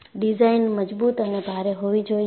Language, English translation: Gujarati, So, it should be sturdy and heavy